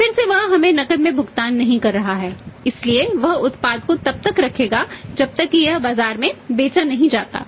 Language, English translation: Hindi, Again he is not paying us back in cash so he will also keep the product until unless it is sold in the market